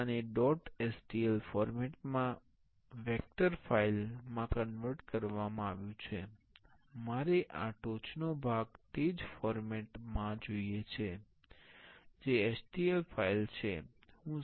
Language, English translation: Gujarati, Now, this is converted to a vector file in dot stl format I want this top part in the same format that is stl file